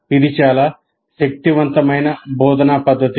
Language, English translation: Telugu, It's a very, very powerful method of instruction